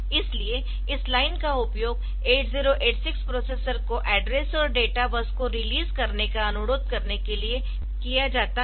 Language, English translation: Hindi, So, this line is used to request the processor 8086 to release the address and data bus lines